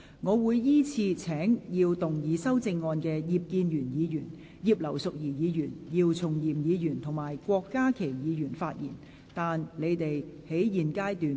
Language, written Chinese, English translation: Cantonese, 我會依次請要動議修正案的葉建源議員、葉劉淑儀議員、姚松炎議員及郭家麒議員發言；但他們在現階段不可動議修正案。, I will call upon Members who move the amendments to speak in the following order Mr IP Kin - yuen Mrs Regina IP Dr YIU Chung - yim and Dr KWOK Ka - ki; but they may not move the amendments at this stage